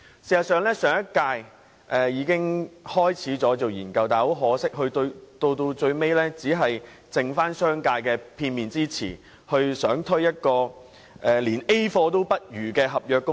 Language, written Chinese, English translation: Cantonese, 事實上，上屆政府已開始研究，但很可惜，最終結果只是基於商界的片面之詞，欲推出一項連 "A 貨"也不如的合約工時。, In fact the last - term Government had commenced studies on the issue but unfortunately came up with contractual working hours eventually which is even worse than a grade A replica based on the one - sided claims of the business sector